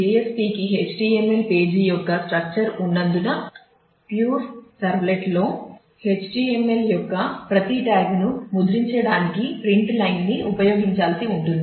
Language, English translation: Telugu, Because JSP has the structure of the HTML page whereas, in a pure servlet we will have to use print line to print every tag of the HTML which is cumbersome